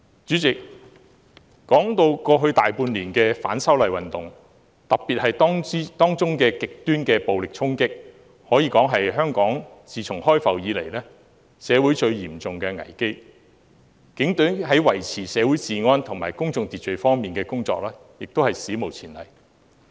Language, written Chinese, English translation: Cantonese, 主席，過去大半年以來的反修例運動，特別是當中的極端暴力衝擊，可說是自香港開埠以來社會最嚴重的危機，警隊在維持社會治安及公眾秩序方面的工作亦是史無前例。, Chairman the movement of opposition to the proposed legislative amendments over the past half a year or so is arguably the most severe social crisis since Hong Kong was open for trade especially because of the extreme violent acts involved . The efforts made by the Police in maintaining public order is also unprecedented